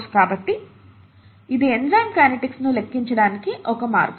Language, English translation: Telugu, So this is one way of quantifying enzyme kinetics